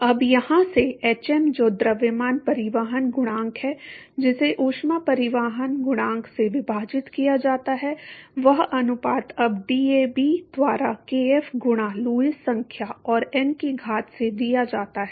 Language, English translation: Hindi, Now, from here hm which is the mass transport coefficient divided by heat transport coefficient that ratio is now given by DAB by kf into Lewis number to the power of n